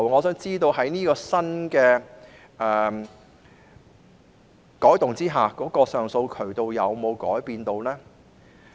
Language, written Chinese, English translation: Cantonese, 在作出新的改動後，以往的上訴渠道有否改變？, After the new alterations have been made will there be any changes to the past channels for appeal?